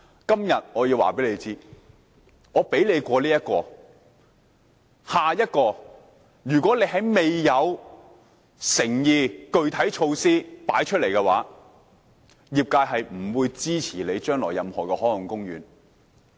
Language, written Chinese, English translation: Cantonese, 今天我要告訴政府，我讓你通過這個立法建議，但如果政府未有誠意和具體措施拿出來，將來業界是不會支持政府設立任何海岸公園的。, I have to tell the Government today that while I let your legislative proposal pass this time the industry is not going to support the Governments setting up of any marine parks in the future if it cannot show us any sincerity or concrete measure